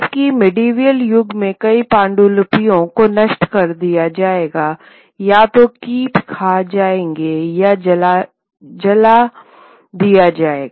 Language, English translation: Hindi, Whereas in the medieval era, many manuscripts should be destroyed, either moth eaten or be burned